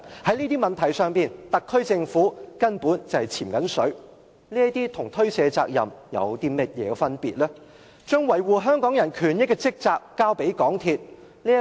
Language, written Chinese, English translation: Cantonese, 在這些問題上，特區政府根本是在推卸責任，把維護香港人權益的職責交給港鐵公司。, The SAR Government is actually skirting its responsibilities over these issues and passes down to MTRCL its rightful duty in safeguarding Hong Kong peoples interest